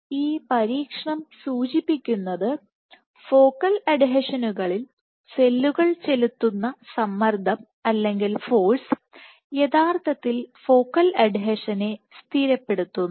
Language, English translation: Malayalam, So, this experiment suggests that tension or force exerted by cells at focal adhesions actually stabilize the focal adhesion